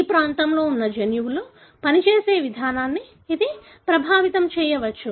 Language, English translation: Telugu, It might affect the way the genes that are present in this region are functioning